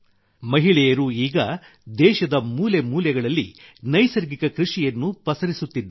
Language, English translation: Kannada, Women are now extending natural farming in every corner of the country